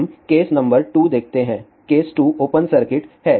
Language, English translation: Hindi, Let us see the case number 2, case 2 is open circuit